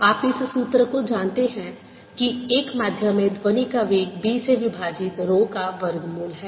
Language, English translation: Hindi, you know the formula that velocity of sound in a medium is square root of d over row